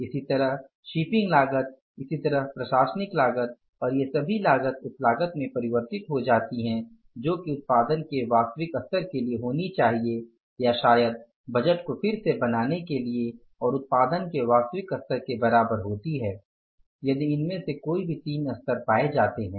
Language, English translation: Hindi, Similarly with the shipping cost, similarly with the administrative cost and all these costs will stand converted to the cost which should be for the actual level of production or maybe for recreating of the budget is comparable to the actual level of production